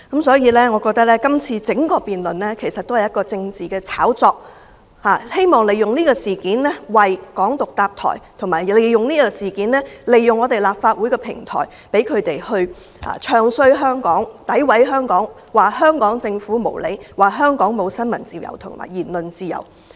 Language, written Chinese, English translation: Cantonese, 所以，我覺得整個辯論只是一場政治炒作，藉以為"港獨"建立平台，反對派議員並藉此事利用立法會的平台"唱衰"香港、詆毀香港、說香港政府無理、說香港沒有新聞自由和言論自由。, This debate is nothing but a political hype to build a platform for Hong Kong independence . What is more Members of the opposition camp are exploiting this opportunity to bad - mouth and defame Hong Kong at this Council accusing the Hong Kong Government of being unreasonable and saying that there is no freedom of the press and freedom of speech in Hong Kong